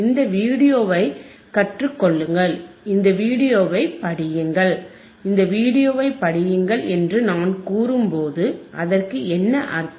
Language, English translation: Tamil, lLearn this video, read this video, when I say read this video what does that mean,